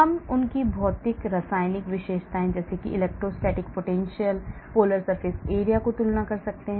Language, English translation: Hindi, We can compare their physicochemical features such as electrostatic potential, polar surface area and so on